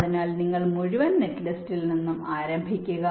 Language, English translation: Malayalam, so you start from the whole netlist